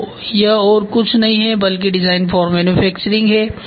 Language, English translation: Hindi, So, this is this is nothing, but design for manufacturing